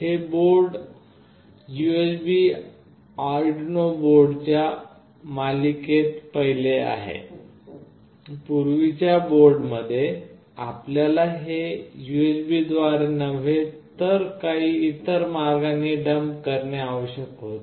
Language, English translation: Marathi, This board is the first in the series of USB Arduino boards, in earlier boards you need to dump it through some other means not through this USB’s